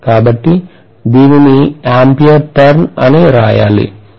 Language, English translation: Telugu, So we should write this as ampere turn